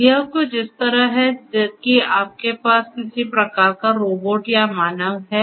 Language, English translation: Hindi, So, you know it is something like this that you have some kind of a robot or a human, right